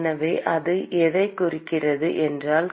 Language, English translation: Tamil, So, what it signifies is